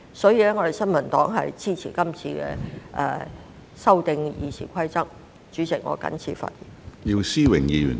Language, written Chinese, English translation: Cantonese, 所以，新民黨支持修訂《議事規則》的擬議決議案。, The New Peoples Party will therefore give its support to the proposed resolution to amend the Rules of Procedure